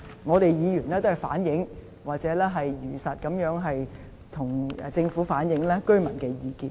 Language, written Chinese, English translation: Cantonese, 我們議員也只是反映或如實地向政府反映居民的意見而已。, What we as Members did was only to reflect residents views to the Government faithfully